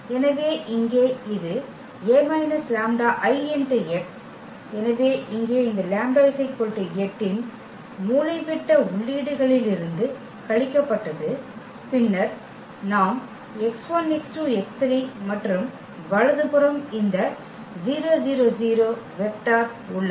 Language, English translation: Tamil, So, here this is a minus lambda I; so, this lambda means 8 here was subtracted from the diagonal entries of A and then we have x 1 x 2 x 3 and the right hand side this 0 vector